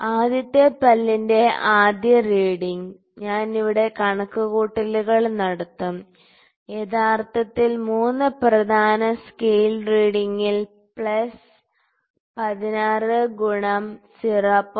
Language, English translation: Malayalam, So, the first reading for the first tooth is I will do the calculations here it is actually 3 in the main scale reading plus 16 into 0